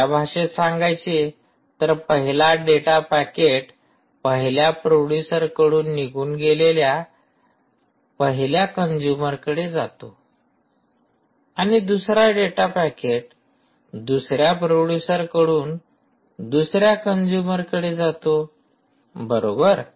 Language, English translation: Marathi, in other words, the first data packet that arise from a producer can go to consumer one and the second data packet from producer can go to consumer number two